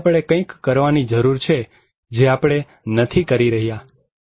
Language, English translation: Gujarati, So, we need something to do and we are not doing it